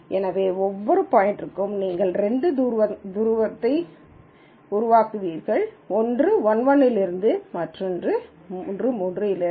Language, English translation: Tamil, So, for every point you will generate two distance, one from 1 1 other one from 3 3